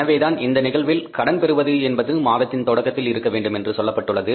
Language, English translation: Tamil, That is why it is given in the case that the borrowing has to be in the beginning of the month